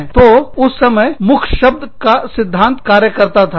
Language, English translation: Hindi, So, the word of mouth theory, was in action, at that point of time